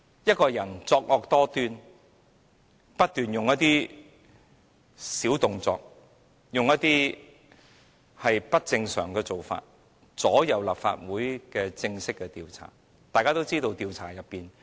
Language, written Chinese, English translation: Cantonese, 一個人作惡多端，不斷搞小動作，又以不正常的做法左右立法會的正式調查。, A person who indulges in all sorts of evildoings has kept playing petty tricks and trying to influence the formal inquiry of the Legislative Council through illicit means